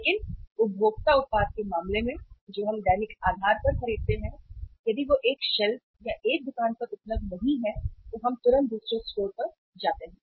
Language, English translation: Hindi, But in case of the consumer product which we buy on daily basis right if that is not available on the one shelf or one store we immediately go to another store